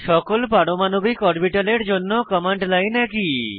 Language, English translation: Bengali, The command line is same for all atomic orbitals